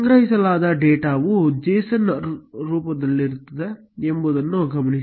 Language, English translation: Kannada, Notice that the data stored is in JSON format